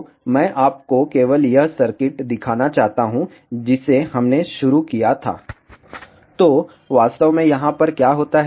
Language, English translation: Hindi, So, I just want to show you the circuit which, which we started So, what really happens over here